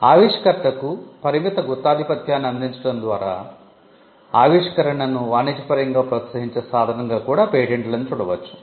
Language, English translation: Telugu, Patents are also seen as instruments that can incentivize innovation by offering a limited monopoly for the inventor